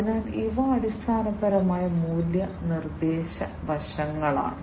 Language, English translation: Malayalam, So, these are basically the value proposition aspects